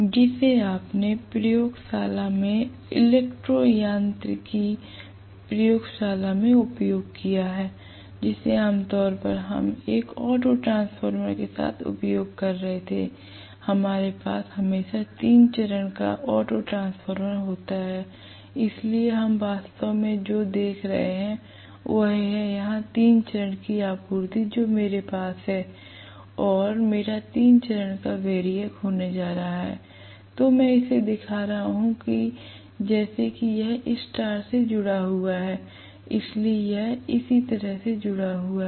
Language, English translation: Hindi, Which you used in the laboratory, in electro mechanics lab generally what we were using is with an auto transformer, we always had a three phase auto transformer, so what we are actually looking at is, here is the three phase supply that I have and I am going to have three phase variac, I am showing it as though it is start connected, so this is how it is connected right